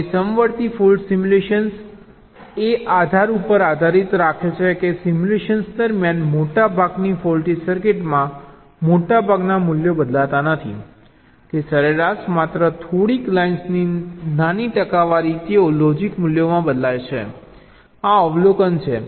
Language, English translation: Gujarati, now, concurrent fault simulation is based on the premise that during simulation most of the values in most of the faulty circuits do not change, that on the average, only a few lines, ah, small percentage of the lines they change in the logic values